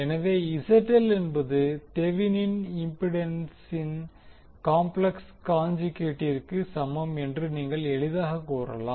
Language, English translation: Tamil, So, you can easily say that ZL is equal to complex conjugate of the Thevenin impedance